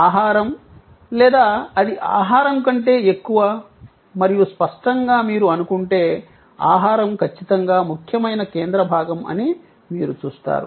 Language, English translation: Telugu, Food and or is it more than food and obviously, if you think through you will see, that it is a food is definitely the core